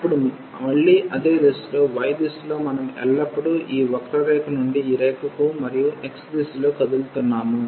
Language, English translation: Telugu, Now again the same idea that in the direction of y we are always moving from this curve to this line and in the direction of x will be moving than